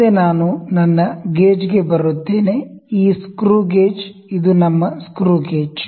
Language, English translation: Kannada, So, these are various components next I come to my gauge, this screw gauge, this is our screw gauge